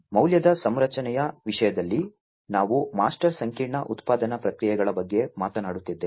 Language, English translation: Kannada, So, in terms of the value configuration, we are talking about master complex production processes